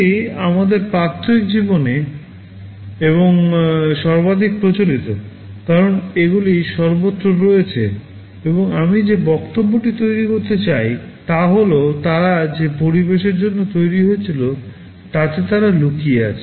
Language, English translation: Bengali, These are far more common in our daily life and pervasive, as they are everywhere, and the point I want to make is that, they are hidden in the environment for which they were created